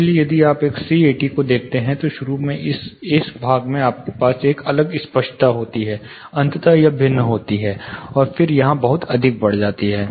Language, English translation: Hindi, So, if you look at a c 80, initial this part you have a different clarity, eventually it varies and then it goes up pretty much higher here